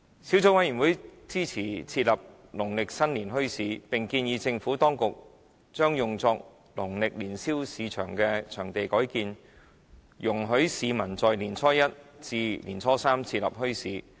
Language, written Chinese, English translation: Cantonese, 小組委員會支持設立農曆新年墟市，並建議將用作農曆年宵市場的場地改建，容許市民在年初一至年初三設立墟市。, The Subcommittee supports the establishment of Lunar New Year bazaars and recommends the conversion of the sites used for Lunar New Year Fairs into sites for bazaars during the first three days of Lunar New Year